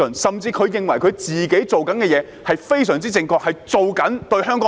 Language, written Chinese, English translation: Cantonese, 甚至他們認為自己做的事是非常正確，是為了香港好。, They even believe that they have been doing rightful things for the good of Hong Kong